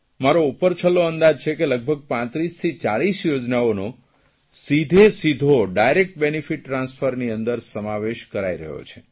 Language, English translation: Gujarati, According to my rough estimate, around 3540 schemes are now under 'Direct Benefit Transfer